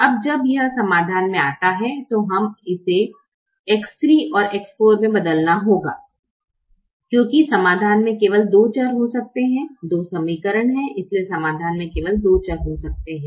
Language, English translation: Hindi, now, when this comes into the solution, it has to replace x three and x four, because only two variables can be in the solution